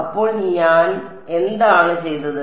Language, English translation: Malayalam, So, what have I done